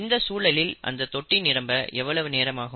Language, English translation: Tamil, If this is the case, how long would it take to fill the tank